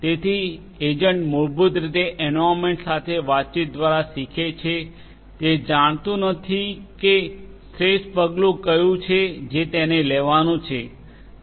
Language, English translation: Gujarati, So, agent basically learns by interacting with the environment agent does not know that what is best action that it has to take